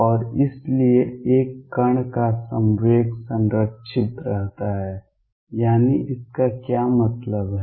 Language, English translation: Hindi, And therefore, momentum of a particle is conserved; that means, what is it mean